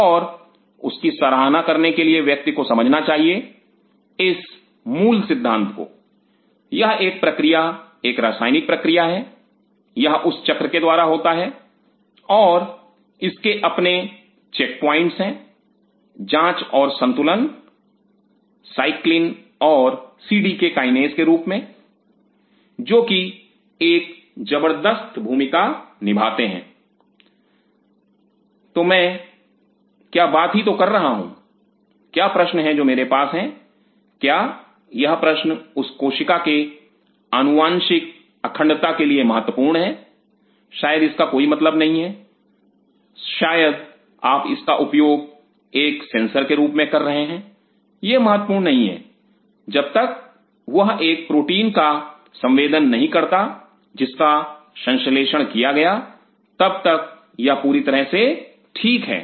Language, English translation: Hindi, And in order to appreciate that one has to understand this basic fundamental the this process is a chemical process, it goes through that cycle and it has it is checkpoints check and balance in the form of cyclins and cdk kinases which are playing tremendous role what I am I interrupting what is the question I am having does this question matters about it is genetic integrity of that cell maybe it does not matter may be you are using it is a sensor it does not matter as long as that sensing a protein is being synthesized by it is perfectly fine